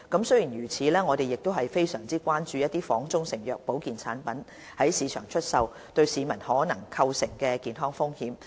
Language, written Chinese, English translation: Cantonese, 雖然如此，我們亦非常關注仿中成藥的保健產品在市場出售對市民可能構成的健康風險。, Notwithstanding this we are very much concerned about the health risk possibly posed to the public by health food products sold on the market as proprietary Chinese medicines